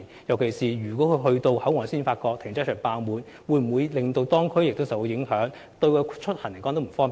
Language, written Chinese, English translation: Cantonese, 特別是，當駕駛者到達口岸才發現停車場爆滿，這會否令當區受影響呢？, Will the local district be affected especially when a driver arrives at the Hong Kong Port only to find that the car parks are full?